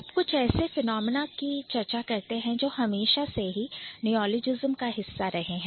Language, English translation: Hindi, Yeah, so now I'm going to talk about a couple of phenomena which are going to be or which are always a part of neologism